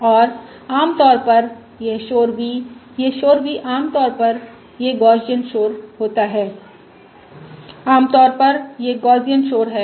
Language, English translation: Hindi, this noise v is typically this is Gaussian noise